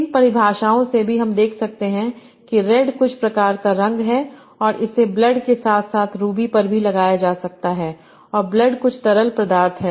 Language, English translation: Hindi, Also from these definitions we can see that red is some sort of color and it can be applied to blood as well as ruby and blood is some liquid